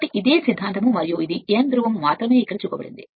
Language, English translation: Telugu, So, this is the same philosophy and this is only N pole is shown here